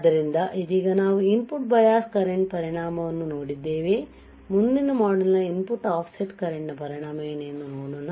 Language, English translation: Kannada, So, right now what we have seen effect of input bias current next module let us see what is the effect of input offset current